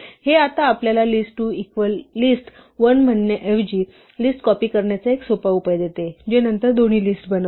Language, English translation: Marathi, This now gives us a simple solution to copy a list instead of saying list2 is equal to list1, which makes then both